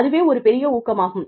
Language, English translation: Tamil, That is a big boost